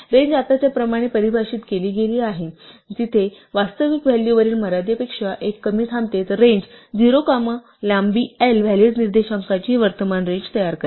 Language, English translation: Marathi, If the range is defined as it is now, where the actual value stops one less than the upper limit then range 0 comma length of l will produce the current range of valid indices